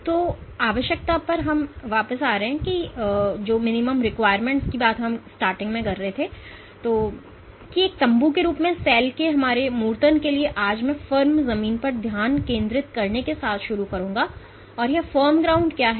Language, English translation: Hindi, So, coming back to the requirement or to our abstraction of cell as a tent, today I will start with focusing on the firm ground and what is this firm ground